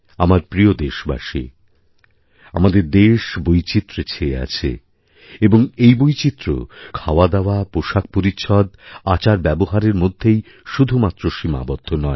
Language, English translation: Bengali, My dear countrymen, our country is a land of diversities these diversities are not limited to our cuisine, life style and attire